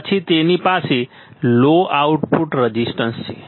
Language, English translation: Gujarati, Then it has low resistance low output resistance